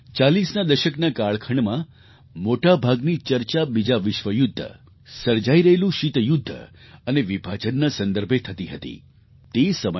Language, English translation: Gujarati, In the era of 40s, while most of the discussions were centred around the Second World War, the looming Cold war and the partition it was during those times Dr